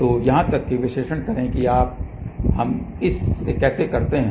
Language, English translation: Hindi, So, even mode analysis how do we do it now